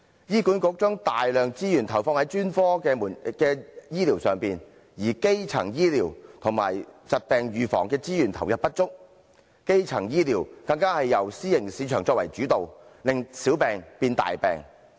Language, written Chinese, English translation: Cantonese, 醫管局將大量資源投放在專科醫療上，但對基層醫療和疾病預防的資源投放不足，基層醫療更由私營市場作主導，令小病變大病。, HA has invested a large amount of resources in specialist healthcare services but the resources for primary healthcare and disease prevention remain inadequate . Since primary healthcare services are dominated by the private market minor diseases are allowed to develop into serious conditions